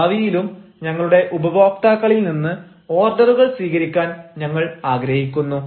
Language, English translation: Malayalam, we also look forward to receive orders from our customers in future as well